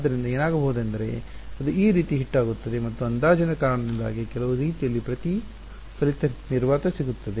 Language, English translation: Kannada, So, what will happen is this hits it like this and due to the approximation some way will get reflected vacuum